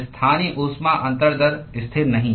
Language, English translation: Hindi, The local heat transfer rate is not constant